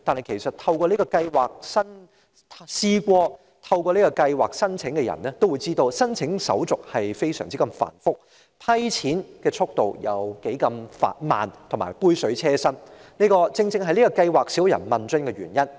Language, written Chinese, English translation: Cantonese, 事實上，曾申請這項計劃的人也知道，申請手續非常繁複，審批津貼的速度十分緩慢，津貼只是杯水車薪，而這正是計劃乏人問津的原因。, In fact those who have applied for the allowance will tell you that the application procedures are extremely complicated the progress of the vetting and approval of allowance is very slow and the amount of allowance provided is a drop in a bucket . These factors explain why not many people are interested in applying for the allowance